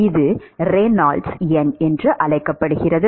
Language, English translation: Tamil, It is called the Reynolds number